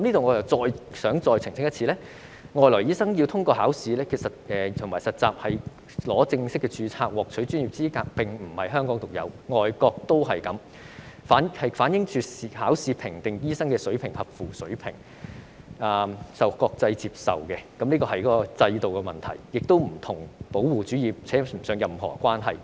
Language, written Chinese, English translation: Cantonese, 我想再一次澄清，海外醫生要通過考試和實習才可以正式註冊或獲取專業資格並非香港獨有，外國的做法相同，反映以考試評定醫生是否合乎水平是國際接受、公平合理的制度，與保護主義扯不上任何關係。, I would like to make it clear once again that the requirement for overseas doctors to pass examinations and internships to obtain full registration or professional qualifications is not unique to Hong Kong . The same requirement also exists in foreign countries showing that the examination system for assessing the standard of doctors is an internationally accepted fair and reasonable system that has nothing to do with protectionism whatsoever